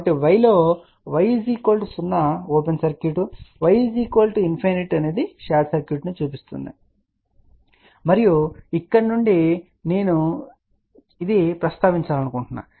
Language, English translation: Telugu, So, in y, y equal to 0 implies open circuit, y equal to infinity implied short circuit and from here also I want to mention